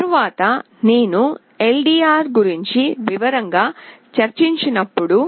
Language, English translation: Telugu, Later when I discussed about LDR in detail